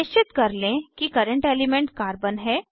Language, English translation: Hindi, Ensure that current element is Carbon